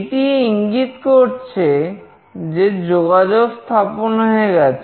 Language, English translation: Bengali, This means that the connection has been established